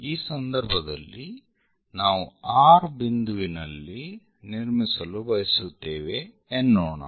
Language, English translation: Kannada, In this case, we would like to construct, for example, at point R